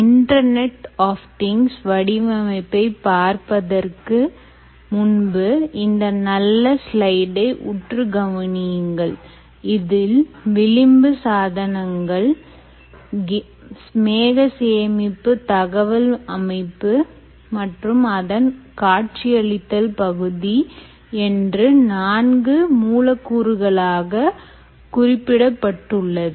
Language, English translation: Tamil, ok, so before we actually get into anything with respect to the design of design for the internet of things, ah, let us just focus on this nice slide that we mentioned, where there are four elements: the edge device, the cloud storage and analytics, analytics and the visualisation part